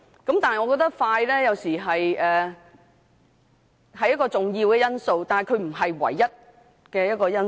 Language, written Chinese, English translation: Cantonese, 但是，我認為快速完成審議有時是重要的因素，但並非唯一因素。, However I think while it is sometimes an important consideration to complete an examination expeditiously it is not the only consideration